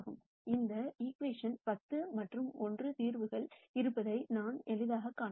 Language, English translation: Tamil, So, I can easily see that this equation has solutions 10 and 1